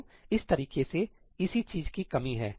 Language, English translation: Hindi, So, that is where this scheme lacks